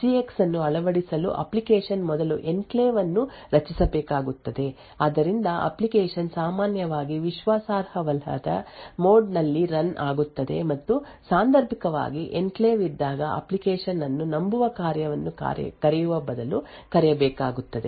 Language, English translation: Kannada, So this essentially is a call to the enclave, so in order to actually incorporate SGX in an application the application would first need to create an enclave so the application would typically run in a untrusted mode and occasionally when there is enclave needs to be called rather than the application needs to call a trusted function